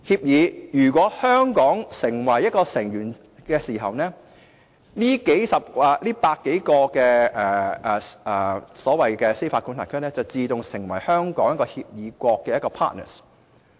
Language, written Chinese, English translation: Cantonese, 如果香港成為該協議的成員，這100多個司法管轄區便自動成為香港的協議國。, If Hong Kong becomes a member of the Convention over 100 jurisdictions will automatically become our partners